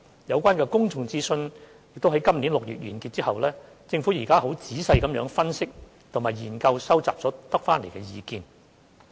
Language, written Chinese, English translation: Cantonese, 有關的公眾諮詢已於今年6月完結，政府現正仔細分析及研究收集所得的意見。, The said public consultation ended in June this year and the Government is now doing some careful analysis and studies on the views collected